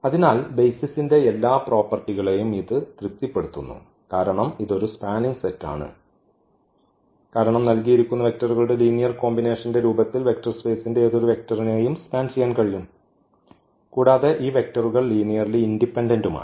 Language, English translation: Malayalam, So, it satisfies all the properties of the basis we have this is a spanning set because, we can span any vector of the given vector space in the form of as a linear combination of the given vectors and also these vectors are linearly independent